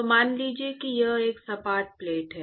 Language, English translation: Hindi, So, supposing it is a flat plate